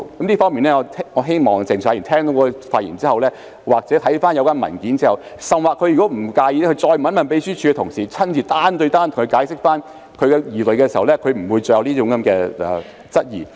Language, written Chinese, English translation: Cantonese, 就此，我希望鄭松泰議員聽畢我的發言後，又或看過有關文件後，甚至他不介意的話，可以再問秘書處的同事，由他們親自單對單向他解釋，這樣他便不會再有這種質疑。, In this connection I hope Dr CHENG Chung - tais queries will be cleared after listening to my speech or reading the relevant papers or he may ask the colleagues of the Secretariat if he does not mind so that they can explain to him one - on - one personally